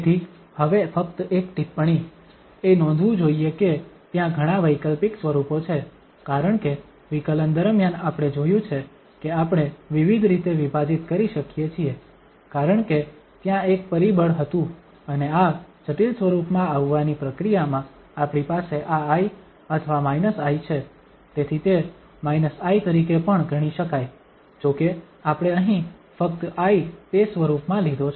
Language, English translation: Gujarati, So, now just a remark it should be noted that there are number of alternative forms because during the derivation, we have seen that we can split in various ways because there was a factor there and in this process of coming to this complex form, we have this plus i or minus i so that can also be considered at minus i, though we have taken here just the plus i that form